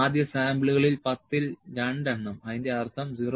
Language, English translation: Malayalam, In the first samples 2 out of 10, would mean 0